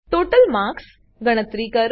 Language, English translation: Gujarati, *Calculate the total marks